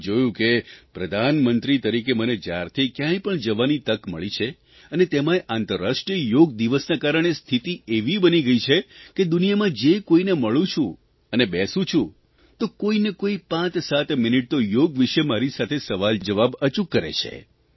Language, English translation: Gujarati, I have seen that whenever I have had the opportunity to go as Prime Minister, and of course credit also goes to International Yoga Day, the situation now is that wherever I go in the world or interact with someone, people invariably spend close to 57 minutes asking questions on yoga